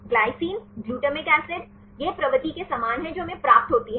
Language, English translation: Hindi, Glycine, glutamic acid, this is similar to the propensity obtain by